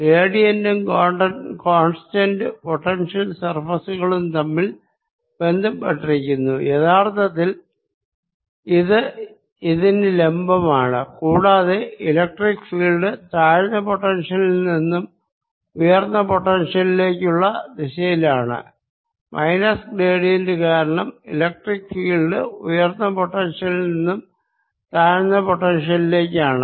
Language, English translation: Malayalam, gradient is related to constant potential surfaces, in fact it's perpendicular to this, and electric field points in the direction from lower to higher potential and electric field points from higher to lower potential because minus the gradient